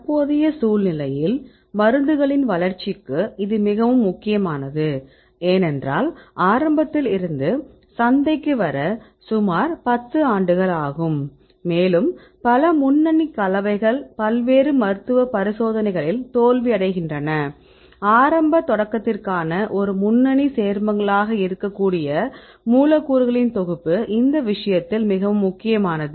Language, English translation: Tamil, Because the current scenario it is very important for the development of drugs, because it takes about 10 years from the beginning to come to the market and many lead compounds they fail in various different clinical trials, and in this case it is very important to have a set of molecules right which could be a lead compounds right for initial start